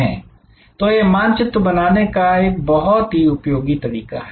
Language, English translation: Hindi, So, this map therefore, this is a very useful way of creating